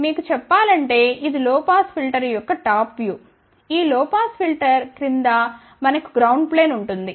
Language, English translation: Telugu, I just to tell you, so, this is the top view of this low pass filter, underneath of this low pass filter we will have a ground plane, ok